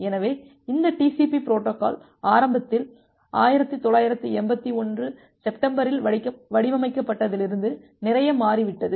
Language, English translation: Tamil, So, this TCP protocol has changed a lot from what it was designed initially in September 1981